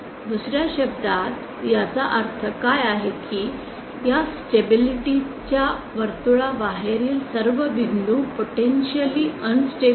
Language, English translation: Marathi, In other words what it means is all points outside this stability circle are potentially unstable